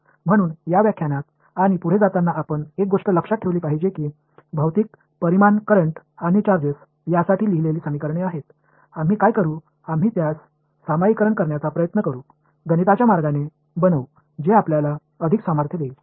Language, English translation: Marathi, So, one thing I would like you to keep in mind as we go ahead in this lecture and in the course is that there are equations which are written for physical quantities currents and charges, what we will do is we will try to generalize it to make it in a mathematical way which will give us more power